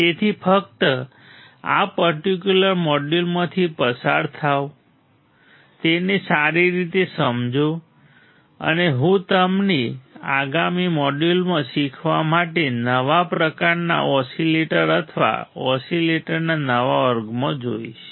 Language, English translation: Gujarati, So, just go through this particular module, understand it thoroughly right and I will see you in the next module with a new kind of oscillators or new class of oscillators to learn